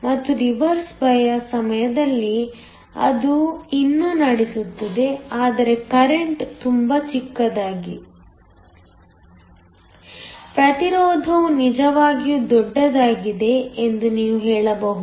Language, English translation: Kannada, And, during reverse bias it will still conduct, but the current is so small that you can say that the resistance is really large